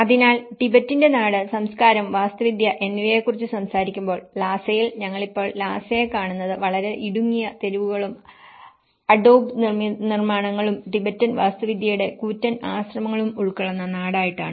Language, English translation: Malayalam, So, when we talk about the land of Tibet, culture and architecture, so in Lhasa, this is how, we see the Lhasa now, the very narrow streets and Adobe constructions and the huge monasteries of the Tibetan architecture